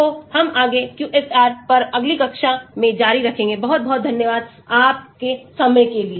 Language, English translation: Hindi, So, we will continue further in the next class on QSAR, thank you very much for your time